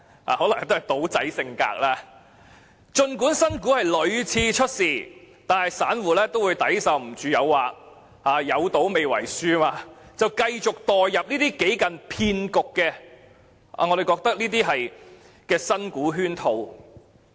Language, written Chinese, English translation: Cantonese, 這可能是"賭仔"性格，因此儘管新股屢次出事，但散戶都會抵受不住誘惑，在"有賭未為輸"之下繼續墮入這些幾近騙局的新股圈套。, Although losses have been repeatedly incurred by investing into new shares it seems that small investors are like gamblers and their hope of winning a bet never dies . Hence they just cannot resist the temptation and will continue to fall into traps set with the issuance of promising new shares and the whole thing can almost be regarded as fraud